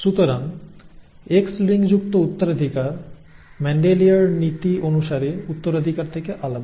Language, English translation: Bengali, Thus X linked inheritance is different from inheritance by Mendelian principles